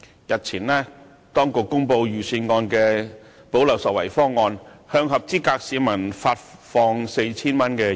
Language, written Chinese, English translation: Cantonese, 日前當局公布財政預算案的"補漏拾遺"方案，向合資格市民發放現金 4,000 元。, A few days ago the Government announced a plan on the Budget to fill the gap and grant a sum of 4,000 in cash to eligible citizens